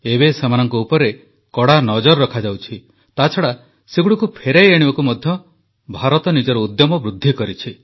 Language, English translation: Odia, Now not only are they being subjected to heavy restrictions; India has also increased her efforts for their return